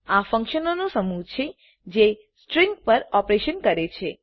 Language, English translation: Gujarati, These are the group of functions implementing operations on strings